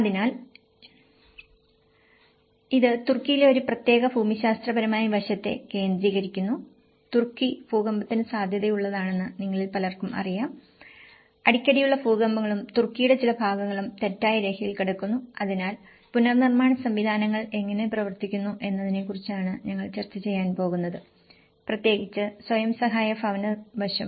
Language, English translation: Malayalam, So, this is a focus on a particular geographical aspect in the Turkey and as many of you know that Turkey is prone to earthquake; frequent earthquakes and certain part of Turkey is lying on the fault line, so that is wherein we are going to discuss about how the reconstruction mechanisms have worked out especially, in the self help housing aspect